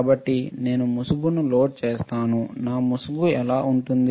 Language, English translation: Telugu, So, I load the mask, how my mask will look like